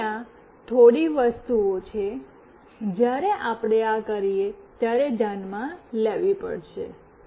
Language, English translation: Gujarati, So, these are the few things, we have to take into consideration when we do this